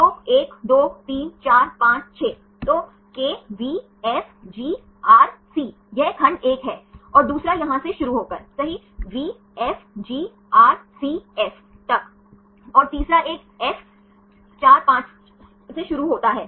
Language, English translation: Hindi, So, KVFGRC, this is segment 1, and the second one start from here to here right VFGRCF and the third one is start from F 4 5